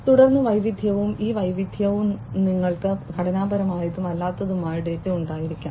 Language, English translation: Malayalam, And then variety and this variety could be you can have both structured as well as non structured data